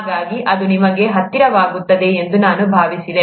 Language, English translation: Kannada, So I thought it will be closer to you